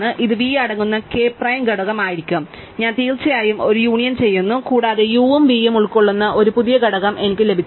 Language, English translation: Malayalam, This will be k prime th component containing v and I do a union of course, and I got in new component which contains both u and v